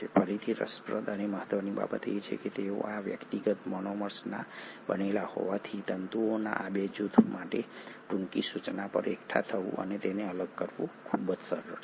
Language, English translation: Gujarati, What is again interesting and important to note is that because they are made up of these individual monomers it is very easy for these 2 groups of filaments to assemble and disassemble at short notice